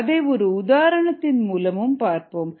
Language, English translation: Tamil, let us consider an example: ah